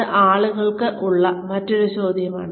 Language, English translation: Malayalam, that is another question, people have